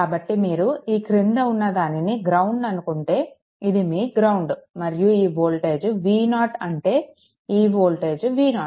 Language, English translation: Telugu, So, this is your if you take this is your ground say, this is your ground right and this voltage is V 0 means this voltage is V 0 right